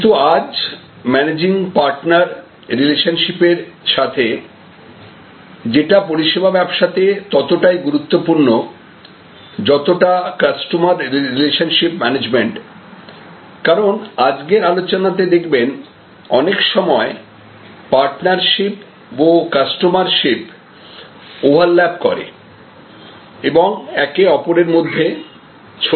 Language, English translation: Bengali, But, today side by side with managing partner relationships, which is as important in service business as is customer relationship management, because as you will see from today's discussion, that in many cases there is a partnership and customer ship overlap and defuse in to each other